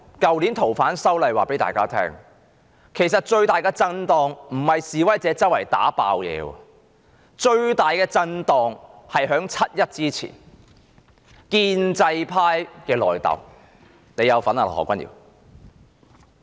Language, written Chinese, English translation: Cantonese, 去年的反修例事件告知大家，最大的震盪並非示威者四處破壞，而是在7月1日前建制派的內訌。, The activities relating to the opposition to the proposed legislative amendments last year tell us that the biggest shock is not the vandalizing protesters but the in - fighting of the pro - establishment camp before 1st July